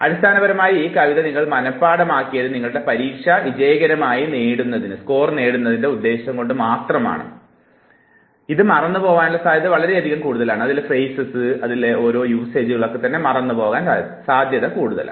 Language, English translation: Malayalam, You know that this was just a poem which was basically memorized only to serve you the purpose of successfully scoring in your examination and therefore the chances of further forgetting it is very high